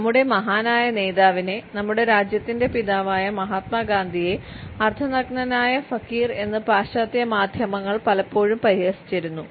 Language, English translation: Malayalam, I would like to refer to our great leader, the father of our nation Mahatma Gandhi who was often ridiculed by the western media as the half naked fakir